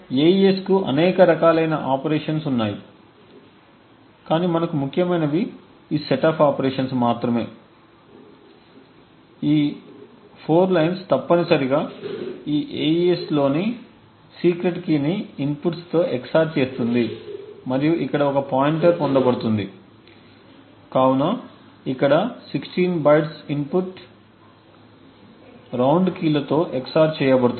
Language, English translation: Telugu, The AES has several different rounds of operations but what is important for us is only these set of operations, these 4 lines essentially would XOR the secret key present in this AES key and a pointer is obtained gained over here with the inputs, so the inputs are here the 16 bytes of input and the round keys are XORed with it